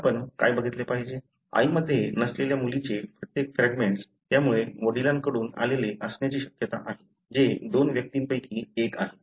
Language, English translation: Marathi, Now, what we need to look at, whether each one of the fragments in the daughter that is not present in the mother, therefore likely to have come from father, is present in which one of the two individual